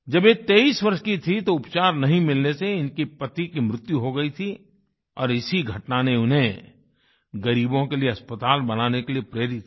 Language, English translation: Hindi, At the age of 23 she lost her husband due to lack of proper treatment, and this incident inspired her to build a hospital for the poor